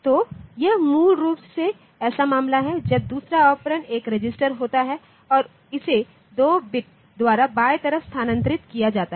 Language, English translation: Hindi, So, this is basically the case when where the second operand happens to be a register and it is left shifted by 2 bits ok